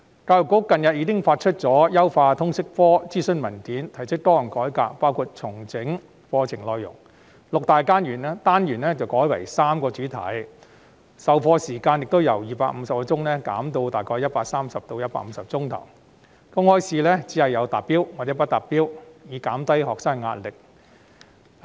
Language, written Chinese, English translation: Cantonese, 教育局近日發出優化通識科的諮詢文件，並提出多項改革，包括重整課程內容，由六大單元改為3個主題，授課時間亦由250小時減至大約130小時至150小時，公開考試亦只設"達標"與"不達標"兩級，以減低學生的壓力。, EDB recently published a consultation document on optimizing the LS subject and proposed a number of changes such as reorganizing the curriculum content; changing it from six modules to three themes; reducing the total lesson time from 250 hours to around 130 to 150 hours and marking the public examinations as attained and not attained to reduce the pressure on students